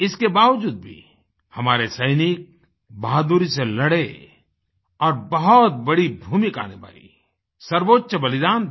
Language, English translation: Hindi, Despite this, our soldiers fought bravely and played a very big role and made the supreme sacrifice